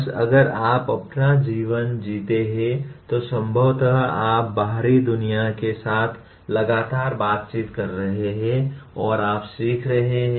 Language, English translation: Hindi, Just if you live your life possibly you are constantly interacting with the outside world and you are leaning